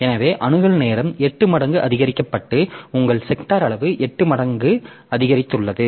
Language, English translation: Tamil, So, access time is increased 8 fold and your sector size as if the sector size has increased 8 fold